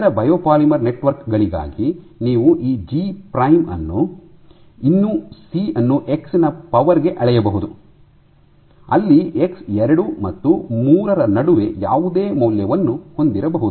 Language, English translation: Kannada, For other biopolymer networks you might have this G prime will still scale as C to the power x where x can have any value between 2 and 3 ok